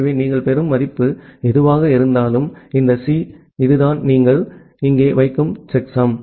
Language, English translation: Tamil, So, whatever value you are getting, so this C this is the checksum that C you are putting here